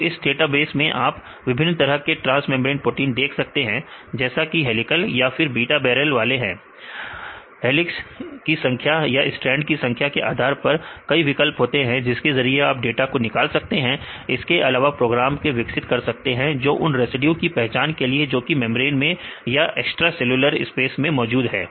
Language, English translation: Hindi, So, this is a data base you can see different types of transmembrane proteins either helical type or the beta barrel type, also it has various options to extract the data based on the number of helices, number of strands right also this we have developed your program to identify the regions where the residues which located in the membrane or extracellular space right and so on